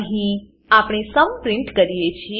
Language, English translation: Gujarati, And here we print the sum